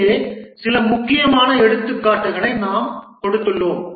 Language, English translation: Tamil, There are many other, we just given some important examples here